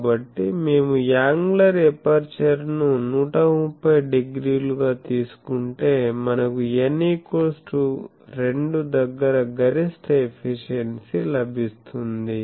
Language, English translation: Telugu, So, if we take the angular aperture to be 130 degree then we get further n is equal to 2 it is gives the maximum efficiency